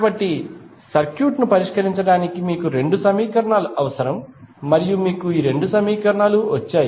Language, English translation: Telugu, So, you need two equations to solve the circuit and you got these two equations